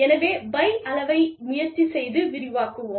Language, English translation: Tamil, So, let us try and expand, the size of the pie